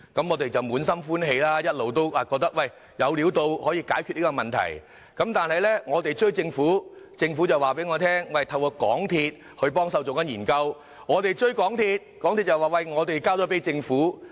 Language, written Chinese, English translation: Cantonese, 我們滿心歡喜，以為有機會解決這問題，但當我們追問政府時，政府告訴我們會透過港鐵公司幫忙進行研究；當我們追問港鐵公司時，港鐵公司又說已交給政府研究。, We were once very delighted thinking that the traffic problem could thus be solved . However when we enquired with the Government it said MTRCL would help it conduct a study . But when we turned to MTRCL it said the Government would conduct the study itself